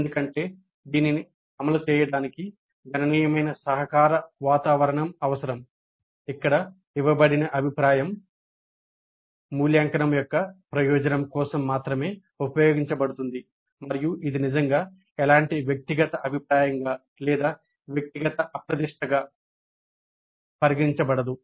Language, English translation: Telugu, Of course the implementation of this would require considerable kind of a cooperative environment where the feedback that is given is used only for the purpose of evaluation and it is not really considered as any kind of personal kind of feedback or a personal kind of affront